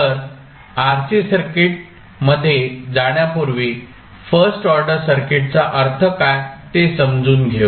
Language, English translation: Marathi, So, let us see what do you mean by first order RC circuits